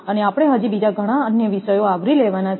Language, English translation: Gujarati, So, we have many other topics has to be covered